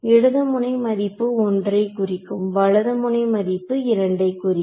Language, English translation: Tamil, Left node value I called as 1 right node value I called as 2